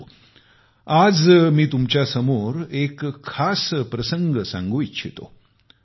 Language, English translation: Marathi, But today, I wish to present before you a special occasion